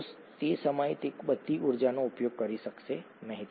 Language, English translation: Gujarati, The cell may not be able to use all that energy at that time